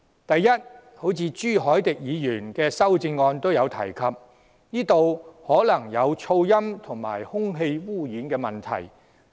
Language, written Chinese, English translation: Cantonese, 第一，正如朱凱廸議員的修正案也提及，當中可能涉及噪音及空氣污染問題。, First there could be noise and air pollution problems as pointed out in Mr CHU Hoi - dicks amendment